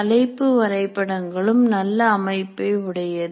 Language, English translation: Tamil, And topic maps are further more structure